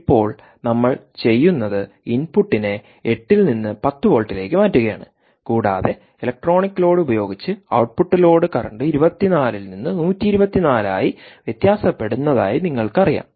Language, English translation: Malayalam, so now what we do is we change the input from ah from eight to ten volts and we again ah, you know, vary the output load current using that electronic load, from twenty four to one twenty four milliamperes